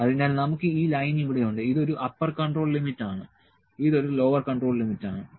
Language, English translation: Malayalam, So, we have this line here this which is an upper control limit, this is a lower control limit